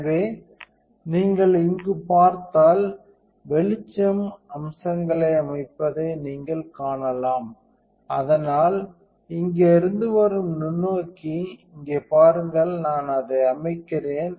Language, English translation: Tamil, So, if you look in here, you can see the light setting the features, so that is the microscope from here coming look here am I setting it